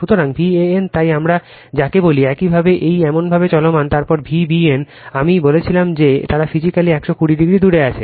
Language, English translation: Bengali, So, V a n, so it is your what we call it is moving like this, then V b n, it is I told they are 120 degree apart physically right